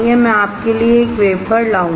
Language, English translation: Hindi, I will bring a wafer for you